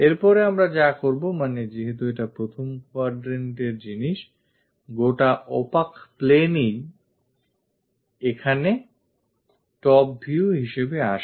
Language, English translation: Bengali, After that, what we will do is; because it is a first quadrant thing, this entire opaque plane comes here for top view